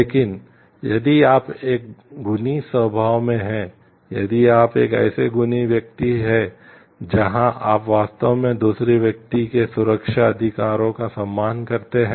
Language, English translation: Hindi, But, if you are in a virtuous nature, if you are a virtuous kind of person where you really respect the safety rights of other person